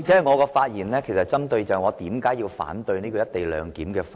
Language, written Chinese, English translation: Cantonese, 我的發言其實針對我反對《條例草案》的原因。, My speech actually focuses on the grounds for my objection to the Bill